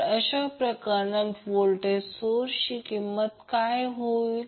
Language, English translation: Marathi, So what will be the value of voltage source in that case